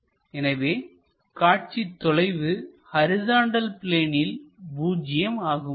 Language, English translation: Tamil, So, here we will have horizontal plane